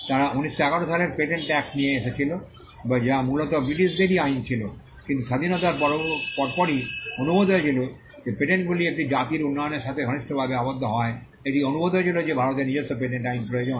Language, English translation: Bengali, The Britishers when they were ruling the country, they had brought in the patents act of 1911 which was largely the British act itself, but soon after independence, it was felt that because patents are tied closely to the development of a nation, it was felt that India required its own patent law